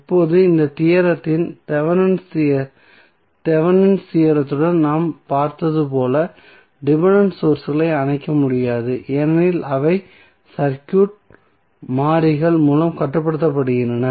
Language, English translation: Tamil, Now, as we saw with the Thevenm's theorem in this theorem also the dependent sources cannot be turned off because they are controlled by the circuit variables